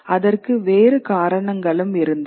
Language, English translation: Tamil, There were other reasons for it